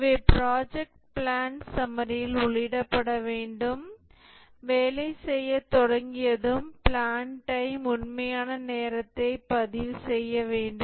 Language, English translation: Tamil, And these must be entered in a project plan summary form and once starts working must record the actual time